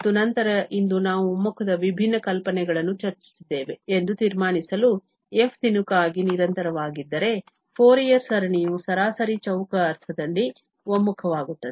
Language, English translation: Kannada, And then, just to conclude that today we have discussed different notion of convergence, the one was that if f is piecewise continuous, then the Fourier series converges in the mean square sense